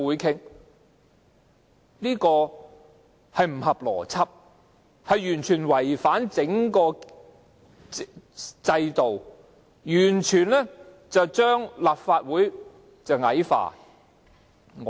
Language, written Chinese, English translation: Cantonese, 這並不合邏輯，完全違反整個制度，完全將立法會矮化。, This is illogical a complete violation of the entire system and an utter debasement of the Legislative Council